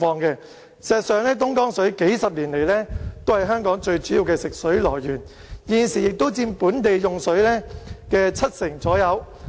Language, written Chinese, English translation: Cantonese, 事實上，東江水數十年來都是香港最主要的食水來源，現時亦佔本地用水的七成左右。, Thus there is no wastage . In fact Dongjiang water has been the most important source of drinking water in Hong Kong over the past few decades . About 70 % of water consumed in Hong Kong is sourced from Dongjiang currently